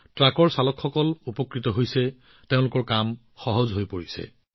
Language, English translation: Assamese, Drivers of trucks have also benefited a lot from this, their life has become easier